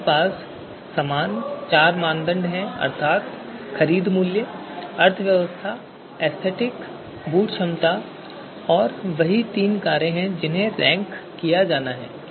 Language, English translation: Hindi, We have four criteria you know same four criteria purchase price, economy, aesthetics, boot capacity and same three alternatives three cars that are to be ranked